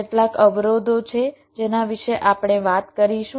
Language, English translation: Gujarati, there some constraints we shall we talking about